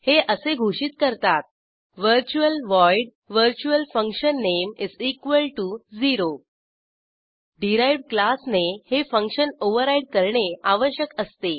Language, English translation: Marathi, It is declared as: virtual void virtualfunname()=0 A derived class must override the function